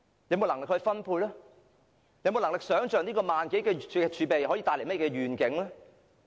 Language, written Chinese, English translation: Cantonese, 有沒有能力想象這一萬多億元的儲備可以帶來甚麼願景？, Does he have the capability to imagine what kind of visions 1,000 - odd billion can bring?